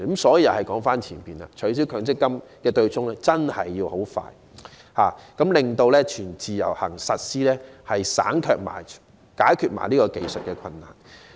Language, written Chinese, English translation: Cantonese, 所以，話又須說回前面，取消強積金對沖機制真的要盡快進行，令"全自由行"得以實施，解決這個技術困難。, Therefore it takes us back to the previous point which is that the abolition of the offsetting arrangement really needs to be implemented as soon as possible so that full portability of MPF benefits can be implemented and the technical problem solved